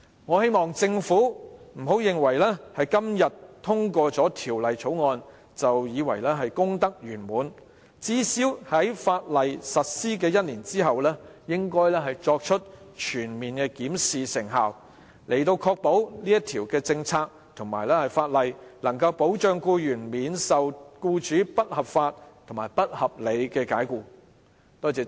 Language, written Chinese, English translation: Cantonese, 我希望政府不要認為今天通過了《條例草案》便功德圓滿，而最少應在法例實施1年後全面檢視成效，確保這項政策及相關法例能保障僱員免遭僱主不合理及不合法解僱。, I hope that the Government will not consider the passage of the Bill today a success; rather it should comprehensively review the effectiveness of the legislation one year after its implementation so as to ensure that this policy and the relevant legislation can protect employees from being unreasonably and unlawfully dismissed by employers